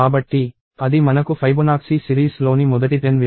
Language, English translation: Telugu, So, that gives us the first 10 values of Fibonacci series